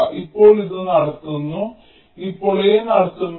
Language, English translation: Malayalam, this is conducting now when a is conducting